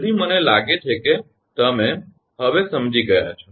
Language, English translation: Gujarati, so i think you, uh, you have understood